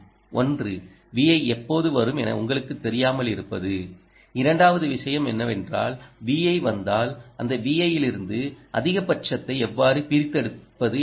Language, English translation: Tamil, so one thing: if you don't know when v in is coming, the second thing you want to do is, if v in comes, how to extract maximum from that v in, how to get maximum power from ah